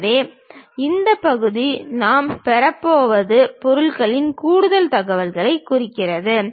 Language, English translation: Tamil, So, this part whatever we are going to get represents more information of the object